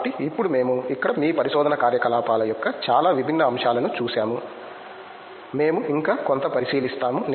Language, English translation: Telugu, So, may be now we have seen a lot different aspects of your research activities here, were we will look at something more